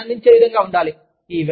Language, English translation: Telugu, They need to be, enjoyable